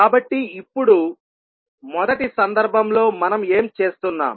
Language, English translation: Telugu, So now, in first case what we are doing